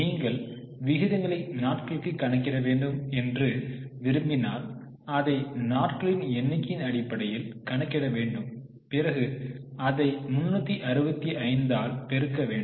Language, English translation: Tamil, So, you will get the ratio into if you want to do it in terms of number of days we will multiply it by 365